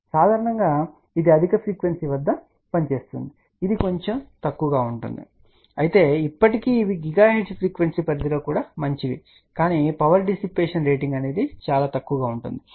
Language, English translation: Telugu, So, in general this one will work at a higher frequency this one little lower this will lower, but still these are all good even in the gigahertz frequency range but the power dissipation rating is very very small